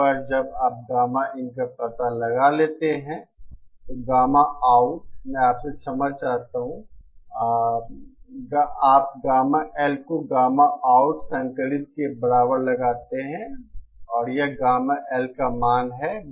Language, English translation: Hindi, Once you find out gamma in, gamma out I beg your pardon, you set gamma L equal to gamma out conjugate and this is the value of gamma L